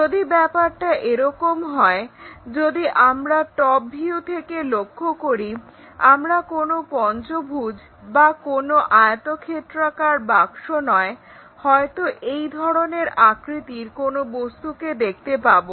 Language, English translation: Bengali, If that is the case, if we are looking at top view it will not give us straight forward pentagon or perhaps something like a rectangular box something like this kind of object shape we will see